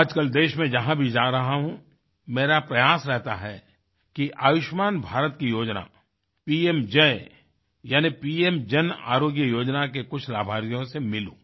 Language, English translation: Hindi, At present, whenever I'm touring, it is my sincere effort to meet people beneficiaries of 'PMJAY' scheme under Ayushman Bharat's umbrella